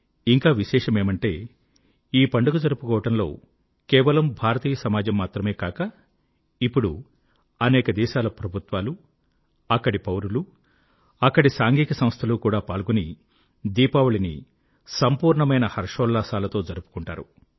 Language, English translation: Telugu, And notably, it is not limited to Indian communities; even governments, citizens and social organisations wholeheartedly celebrate Diwali with gaiety and fervour